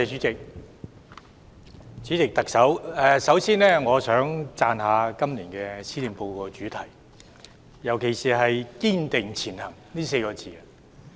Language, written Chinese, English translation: Cantonese, 主席，特首，首先我想讚賞今年施政報告的主題，尤其是"堅定前行 "4 個字。, President Chief Executive first of all I would like to commend the theme of this years Policy Address especially the words Striving Ahead